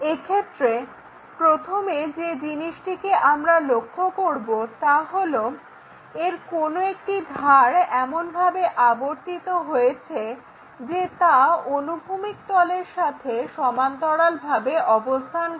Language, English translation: Bengali, The first one what we are trying to look at is in case one of these edges are rotated in such a way that that will be parallel to our horizontal plane so this one